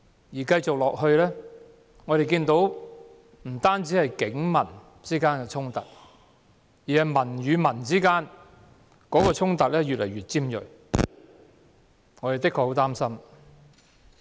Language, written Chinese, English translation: Cantonese, 情況持續下去的話，不止警民衝突，連市民與市民之間的衝突亦會越來越尖銳。, If the situation persists not only police - public conflicts but also conflicts among people will turn increasingly acute